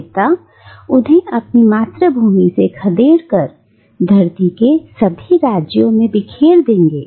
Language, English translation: Hindi, And the god will cause them to be dispersed from their homeland and to be scattered among all the kingdoms of the earth